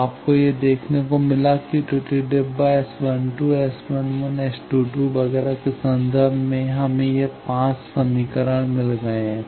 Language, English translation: Hindi, So, you have got you see this in terms of the error boxes S 12, S 11, S 22 etcetera we have got this 5 equations